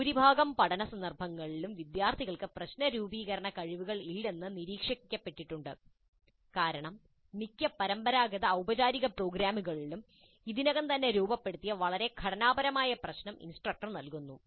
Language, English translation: Malayalam, In a majority of learning context, it has been observed that students do not have problem formulation skills because in most of the conventional formal programs, the instructor provides a highly structured problem already formulated